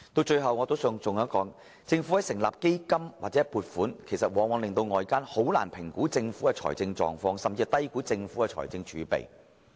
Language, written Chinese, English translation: Cantonese, 最後，我還想提出一點，政府成立基金或預留撥款往往令到外間難以評估其財政狀況，甚至低估其財政儲備。, Last of all I want to highlight one point . By establishing funds or setting aside provisions the Government has made it difficult for the general public to assess its financial condition and even underestimate the fiscal reserves